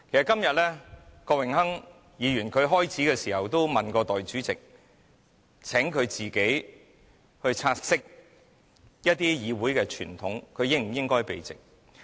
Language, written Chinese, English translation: Cantonese, 今天郭榮鏗議員曾詢問代理主席，請她自己察悉一些議會傳統，她是否應該避席。, Today Mr Dennis KWOK asked Deputy President to take note of the Council tradition and decide whether she should withdraw from the meeting